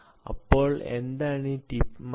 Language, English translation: Malayalam, so what about this tip mass